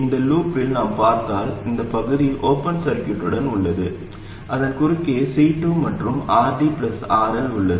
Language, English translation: Tamil, And if we look in this loop, this part is open circuited, we have C2 and RD plus RL across it